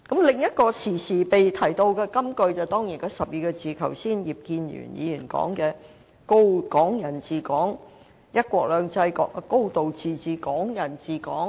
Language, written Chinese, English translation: Cantonese, 另一個經常被提到的金句，當然就是葉建源議員剛才提及的12個字，即"一國兩制"、"高度自治"、"港人治港"。, Another well - known saying which is often quoted is certainly the trio of phrases mentioned by Mr IP Kin - yuen just now namely one country two systems a high degree of autonomy and Hong Kong people administering Hong Kong